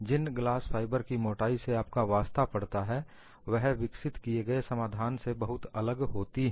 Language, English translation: Hindi, The thicknesses that you come across in glass fiber are far different than what you have developed as a solution